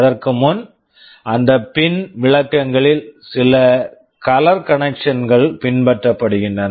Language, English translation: Tamil, Before that there are some color conventions that are followed in those pin descriptions